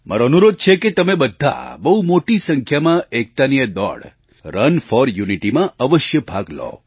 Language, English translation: Gujarati, I urge you to participate in the largest possible numbers in this run for unity